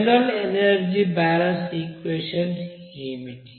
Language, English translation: Telugu, What is that general energy balance equation